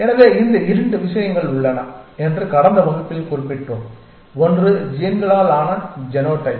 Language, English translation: Tamil, So, we had mentioned in the last class that there are these 2 things; one is the genotype which is made up of the genes